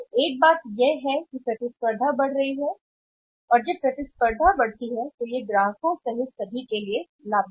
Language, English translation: Hindi, So, one thing is that competition has gone up and when the competition has gone up as it is benefit in everybody including customers